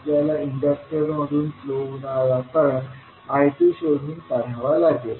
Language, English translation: Marathi, We have to find out the portion of I2 flowing through the Inductor